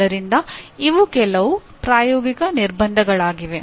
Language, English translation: Kannada, So these are some practical constraints